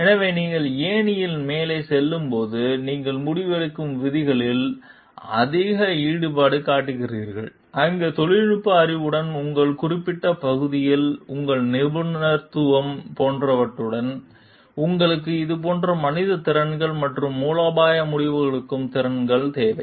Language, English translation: Tamil, So, as you move up the ladder, then you are getting more involved in decision making rules, where along with the technical knowhow along with your like expertise in your specific area, you require these type of like human skills and strategic decision skills to take proper decision